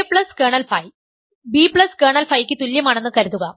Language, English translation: Malayalam, So, suppose a plus b a plus kernel phi is equal to b plus kernel phi